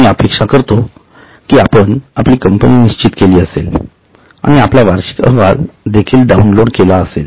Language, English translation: Marathi, I hope by now you would have decided your company and also downloaded your annual report